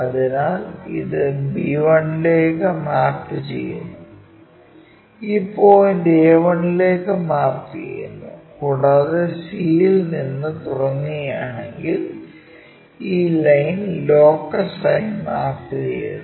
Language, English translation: Malayalam, So, this one maps to b 1 and this point maps to a 1 and this line maps to are the locus if we are constructing from c this point let us call c 1